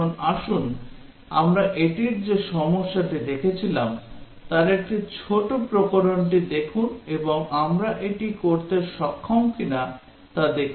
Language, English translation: Bengali, Now let us look at a small variation of the problem that we looked at it and see whether we are able to do it